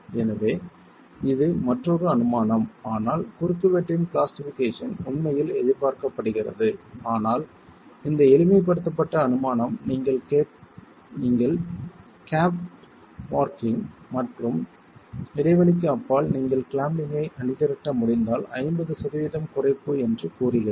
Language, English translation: Tamil, So, this is another assumption but plastication of the cross section is actually to be expected but this simplified assumption tells us that if you have gap darching and beyond the gap if you are able to mobilize clamping then a 50% reduction is what you would see if there is a gap